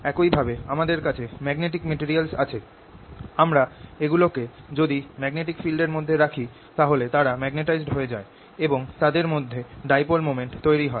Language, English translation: Bengali, similarly we have magnetic materials where if they you put them in the magnetic field, they get magnetized, they develop a dipole moment